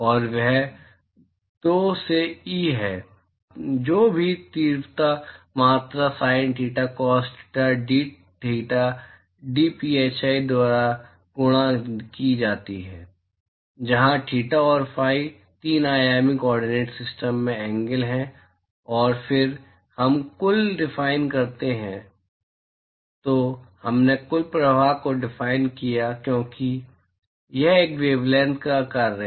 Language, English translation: Hindi, And that is pi by 2, whatever is that intensity quantity multiplied by sine theta cos theta dtheta dphi, where theta and phi are the angles in the 3 dimensional coordinate system and then we define total, then we defined total flux because it is a function of the wavelength